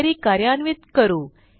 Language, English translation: Marathi, Let us run the query